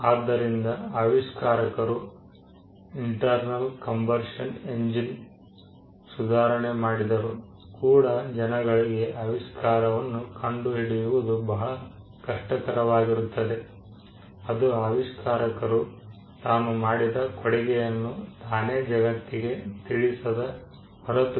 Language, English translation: Kannada, So, though there is an improvement that the inventor has made with regard to the internal combustion engine, it will be very difficult for people to ascertain where that improvement is, unless the inventor himself tells the world as to what was the contribution that he made